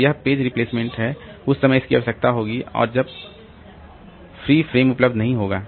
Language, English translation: Hindi, So, this is the page replacement at that time it will be required and there are no free frames